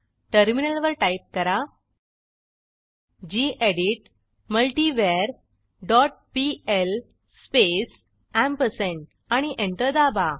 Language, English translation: Marathi, onTerminal type gedit multivar dot pl space ampersand and press Enter